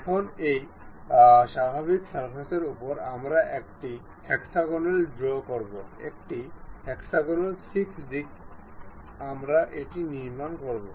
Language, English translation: Bengali, Now, on this normal to surface we draw a hexagon, a hexagon 6 sides we will construct it